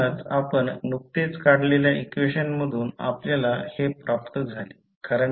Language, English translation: Marathi, So, this is what you got from the equation which we just derived